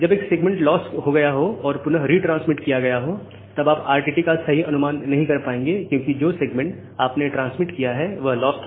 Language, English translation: Hindi, If a segment has lost and retransmitted again, then you will not get the proper estimation of RTT because this segment you have transmitted the segment